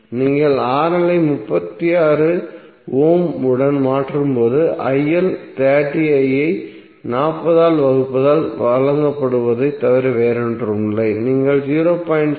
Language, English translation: Tamil, When you will replace RL with 36 ohm you will get IL is nothing but 30 divided by the value 40 so you will get 0